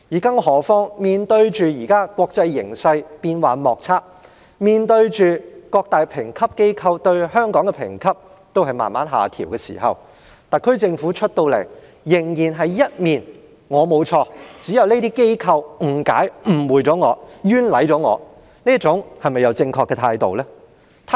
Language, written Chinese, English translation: Cantonese, 更何況面對現時國際形勢變幻莫測，面對各大評級機構把香港的評級逐步下調的時候，特區政府依然一副"我沒有錯，只是那些機構誤解、誤會及冤枉我"的態度，這樣是否正確呢？, What is more in the face of the ever - changing international environment and the gradual downgrading of Hong Kongs credit ratings by major credit rating agencies the SAR Government has maintained the stance that I have done nothing wrong those agencies misunderstood and wronged me . Is this the correct attitude?